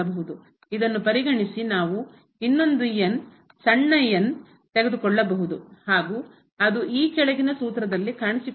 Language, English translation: Kannada, Having this we will also consider one more the small term which is appearing there in the formula